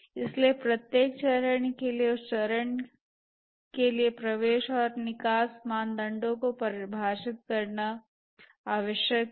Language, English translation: Hindi, So, for every phase it is necessary to define the entry and exit criteria for that phase